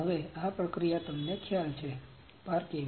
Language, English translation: Gujarati, Now this process is you know parking